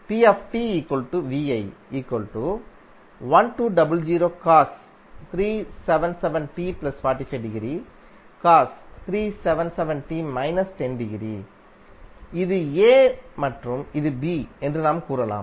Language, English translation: Tamil, You can say that this is A and this is B